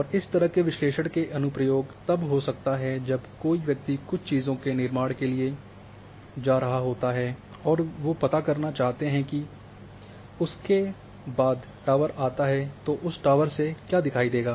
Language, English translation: Hindi, And application of such analysis might be when somebody is going for construction of certain things and then they would like to know that a after that say tower comes then what would be the visible or viewshed from that tower